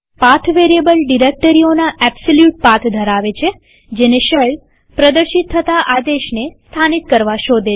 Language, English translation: Gujarati, The PATH variable contains the absolute paths of the directories that the shell is supposed to search for locating any executable command